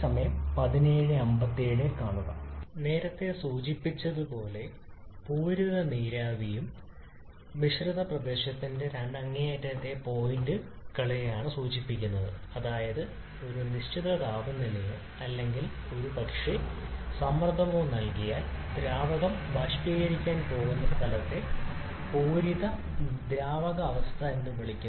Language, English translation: Malayalam, So saturated liquid and vapor state as earlier mentioned refers to the two extreme points of the mixture region that is for a given temperature or maybe given pressure the point where the liquid is just about to vaporize is referred to as a saturated liquid state